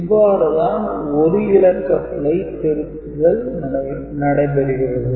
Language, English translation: Tamil, So, this is how 1 bit error correction is done